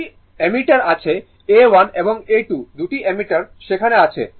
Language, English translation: Bengali, 2 ammeters are there; A 1 and A 2